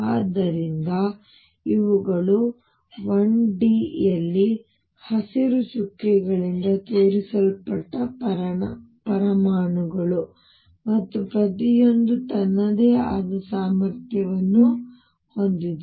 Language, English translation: Kannada, So, these are the atoms which are shown by green dots in 1D, and each one has it is own potential